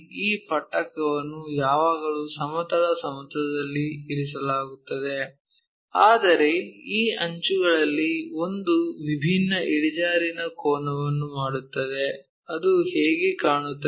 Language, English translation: Kannada, So, this prism is always be placed on horizontal plane, but one of these edges making different inclination angles if so how it looks like